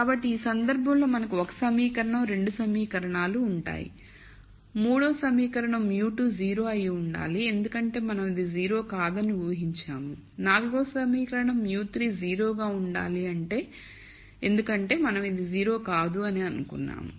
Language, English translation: Telugu, So, in this case we will have 1 equation, 2 equations, the third equation will be mu 2 has to be 0 because we have assumed this is not 0 the fourth equa tion has to be mu 3 is 0 because we have assumed this is not 0